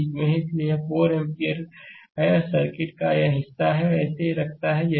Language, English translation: Hindi, And this is 4 ampere this part of the circuit keeps it as it is right